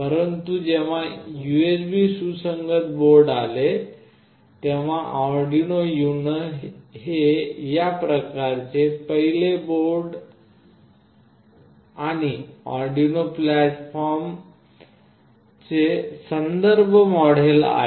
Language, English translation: Marathi, But, when USB compatible boards came, Arduino UNO is the first of those kinds of board and the reference model for the Arduino platform